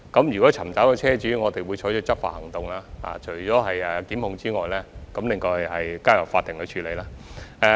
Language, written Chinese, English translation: Cantonese, 如果尋找到車主，我們會採取執法行動，提出檢控，交由法庭處理。, If the owner can be identified we will take enforcement action instigate prosecution and let the court handle the matter